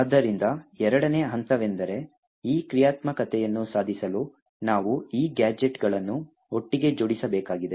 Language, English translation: Kannada, The second step is that we want to stitch these useful gadgets together